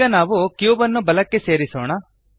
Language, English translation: Kannada, Now lets move the cube to the right